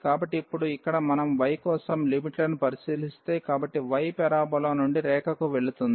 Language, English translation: Telugu, So now, here if we look at the limits for y; so, y goes from the parabola to the line